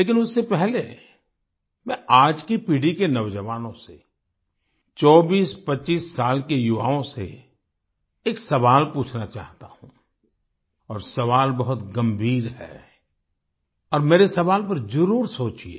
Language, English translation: Hindi, But, before that I want to ask a question to the youth of today's generation, to the youth in the age group of 2425 years, and the question is very serious… do ponder my question over